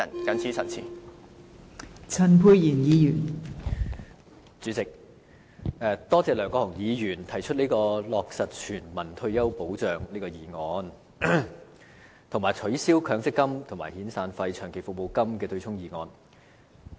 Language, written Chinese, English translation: Cantonese, 代理主席，我感謝梁國雄議員提出議案，要求落實全民退休保障，以及取消強制性公積金計劃僱主供款對沖遣散費及長期服務金的機制。, Deputy President I thank Mr LEUNG Kwok - hung for proposing a motion to call for the implementation of universal retirement protection and abolition of the mechanism of offsetting severance payments and long service payments with employers contributions for the Mandatory Provident Fund MPF scheme